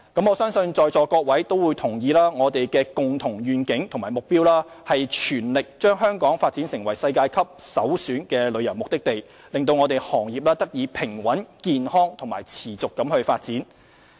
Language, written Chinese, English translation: Cantonese, 我相信在座各位都同意，我們的共同願景及目標是全力將香港發展為世界級的首選旅遊目的地，讓行業得以平穩、健康及持續發展。, I believe all Members in this Chamber will agree that our joint vision and goal is to press ahead with the development of Hong Kong into a world - class premier tourism destination to ensure the balanced healthy and sustainable development of the industry